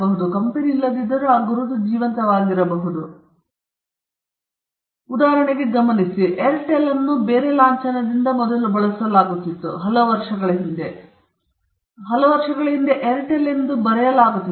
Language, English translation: Kannada, For instance, I don’t know whether you noticed, Airtel used to be known by a different logo, few years back, Airtel used to be written